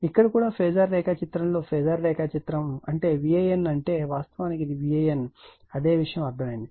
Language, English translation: Telugu, Here also in the phasor diagram phasor diagram also it means your V a n V a n actually it is V A N same thing understandable right